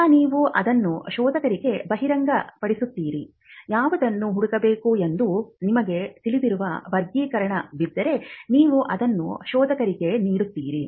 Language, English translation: Kannada, Then you would disclose that to the searcher, if there are classification that you know which needs to be searched, you would stipulate that to the searcher